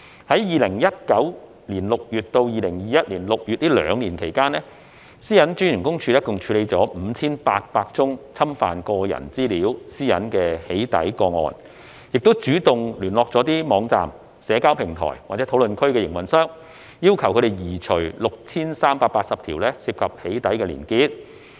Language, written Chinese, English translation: Cantonese, 在2019年6月至2021年6月這兩年期間，個人資料私隱專員公署共處理 5,800 宗侵犯個人資料私隱的"起底"個案，亦主動聯絡網站、社交平台或討論區的營運商，要求移除 6,380 條涉及"起底"的連結。, During the two - year period between June 2019 and June 2021 the Office of the Privacy Commissioner for Personal Data PCPD handled a total of over 5 800 doxxing cases that intruded into personal data privacy . It also proactively approached operators of websites online social media platforms or discussion forums urging them to remove over 6 380 hyperlinks related to doxxing contents